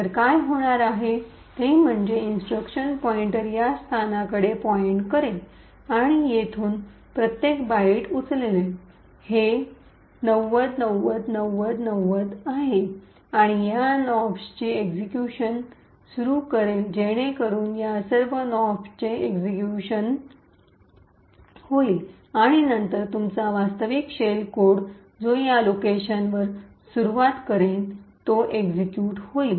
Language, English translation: Marathi, So what is going to happen is that the instruction pointer would point to this location and it would pick up each byte from here this is 90909090 and start executing this Nops so all of this Nops gets executed and then your actual shell code which is staring at this location would then get executed